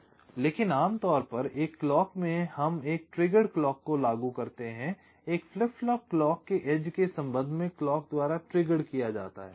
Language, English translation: Hindi, ok, but in a clock, typically we implement a clock triggered flip flop, a flip flop triggered by a clock with respect to some of the edges